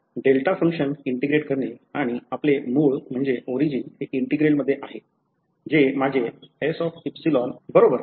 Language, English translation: Marathi, So, integrating the delta function and our integral is including the origin over here that is my S epsilon right